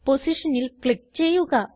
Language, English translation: Malayalam, Click on the position